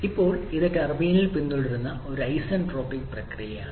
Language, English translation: Malayalam, Now it is an isentropic process that is being followed in the turbine